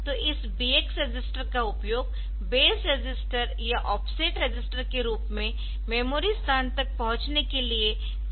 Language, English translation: Hindi, So, this BX register is used as the indirect as the base register as the offset register that can be used for accessing the memory location